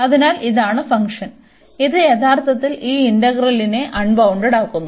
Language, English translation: Malayalam, So, this is the function here the part of the function, which is actually making this integrand unbounded